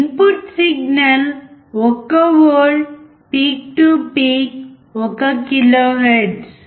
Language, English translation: Telugu, Input signal was 1 volt peak to peak 1 kilohertz